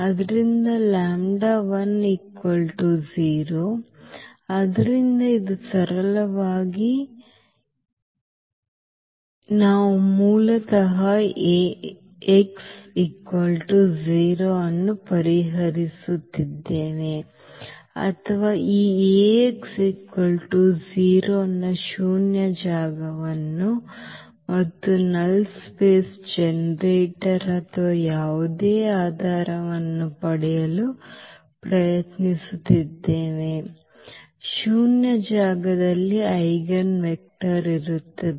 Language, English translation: Kannada, So, the lambda is 0, so this is simply this a so we are solving basically this A x is equal to 0 or we are trying to get the null space of this A x is equal to 0 and the generator of the null space or the basis of the any basis of the null space will be the eigenvector